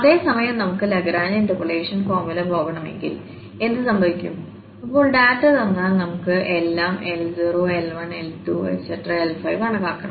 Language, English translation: Malayalam, Whereas if we want to go with the Lagrange interpolation formula, what will happen, given the data we have to now compute all L1, L0, L1, L2 L3 L4 and L5